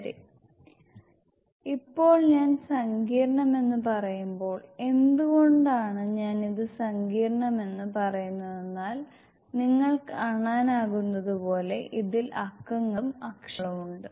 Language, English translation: Malayalam, Ok Now, when I say complex, why I say complex is because there are numbers as you can see and the alphabets